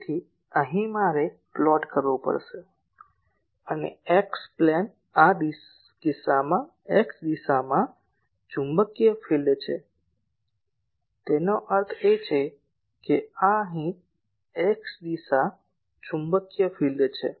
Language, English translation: Gujarati, So, here I will have to plot and x plane is in this case the magnetic field in the x direction; that means, this is x direction magnetic field here